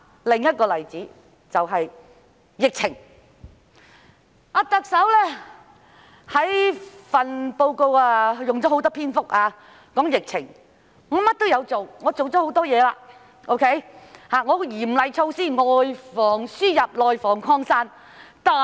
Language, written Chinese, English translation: Cantonese, 另一個例子就是疫情，特首的施政報告用了很多篇幅談及疫情，說明她做了很多事情，亦推行了嚴厲措施，外防輸入、內防擴散。, Another example is the epidemic . The Chief Executive has devoted a lot of space in the Policy Address to the epidemic explaining that she has done a lot and implemented stringent measures to prevent the importation of cases and the spreading of virus in the community